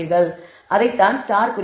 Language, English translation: Tamil, So, that is what the star indicates